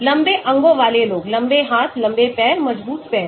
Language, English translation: Hindi, guys with long limbs; long hands, long legs, strong legs